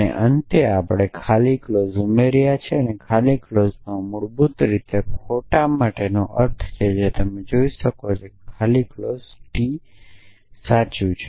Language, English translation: Gujarati, And in the end we added the empty clause and in the empty clause basically stands for false you can see that the empty clause is saying T is true